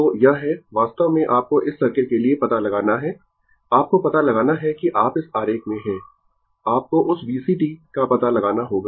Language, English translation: Hindi, So, this is actually you have to find out for this circuit, you have to find out that you are in your in this figure, you have to find out that your V C t, ah